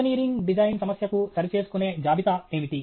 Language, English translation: Telugu, What is a checklist for an engineering design problem